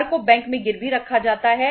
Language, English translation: Hindi, The house is pledged with the bank